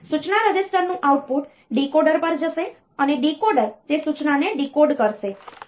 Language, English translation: Gujarati, So, instruction registers output will go to a decoder and the decoder will decode that instruction